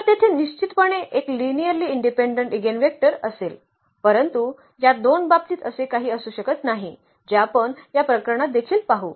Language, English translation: Marathi, So, there will be definitely one linearly independent eigenvector, but there cannot be two this is what we will see in this case as well